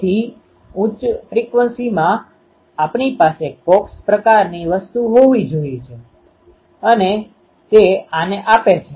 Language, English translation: Gujarati, So, in high frequency we need to have a coax type of thing um and that gives rise to this